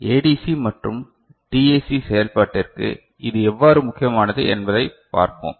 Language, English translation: Tamil, And we shall see how it matters for ADC and DAC operation